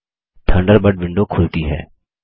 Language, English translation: Hindi, Thunderbird window opens